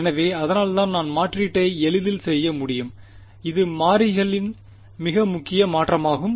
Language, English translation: Tamil, So, that is why I could do the substitution easily it was a very simple change of variables right